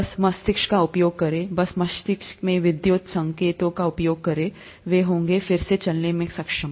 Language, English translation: Hindi, Just by using the brain, just by using the electrical signals in the brain, whether they’ll be able to walk again